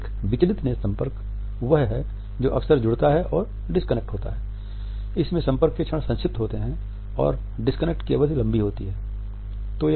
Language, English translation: Hindi, A distracted eye contact is one which tends to frequently connect and disconnect and moments of contact are brief and periods of disconnect are longer